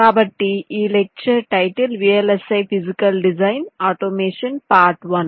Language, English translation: Telugu, so the lecture title: vlsi physical design automation, part one